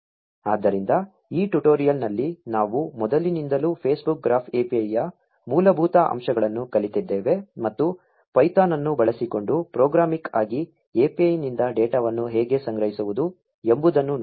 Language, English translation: Kannada, So, in this tutorial, we learnt the basics of the Facebook Graph API from scratch, and saw how to collect data from API programmatically using python